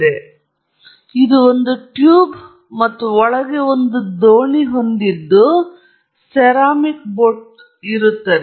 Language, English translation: Kannada, So, this is a tube and inside this you have a boat a ceramic boat right